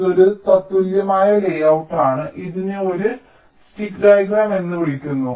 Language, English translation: Malayalam, this is an equivalent layout and this is called a stick diagram